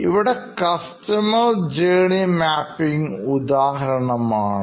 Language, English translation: Malayalam, And is something called customer journey mapping